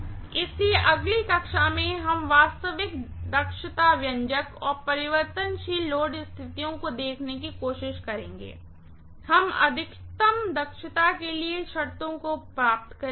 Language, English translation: Hindi, So, in the next class we will try to look at the actual efficiency expression and the variable load conditions, we will derive the conditions for maximum efficiency